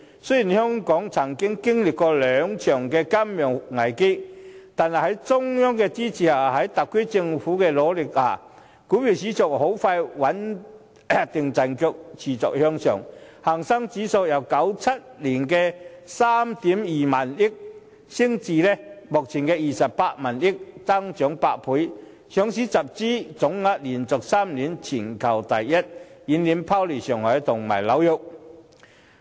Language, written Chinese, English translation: Cantonese, 雖然香港曾經歷兩場金融危機，但在中央的支持及特區政府的努力下，股票市場很快穩定陣腳，持續向上，港股市值由1997年的3億 2,000 萬元升至目前的28億 5,000 萬元，增長8倍，上市集資總額連續3年全球第一，遠遠拋離上海和紐約。, Although Hong Kong has experienced two financial crises with the support of the Central Government and efforts of the SAR Government the local stock market was able to regain its footing quickly and continue to grow . The market value of Hong Kongs stocks grew from 320 million in 1997 to 2.85 billion at present an eight - fold increase . The total equity fund raised in Hong Kong tops world rankings for three years in a row and is much higher than those of Shanghai and New York